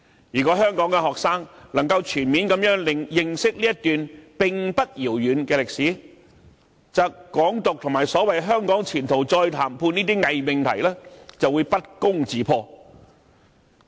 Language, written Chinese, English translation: Cantonese, 如果香港學生能夠全面認識這段並不遙遠的歷史，則"港獨"和所謂"香港前途再談判"等偽命題就會不攻自破。, If Hong Kong students can fully understand this part of history which is not too distant the false propositions of Hong Kong independence and re - negotiations on the future of Hong Kong will disprove themselves